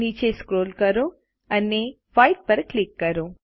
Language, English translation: Gujarati, Scroll down and click on white